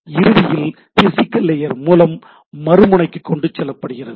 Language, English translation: Tamil, Finally, carried over the physical layer to the other end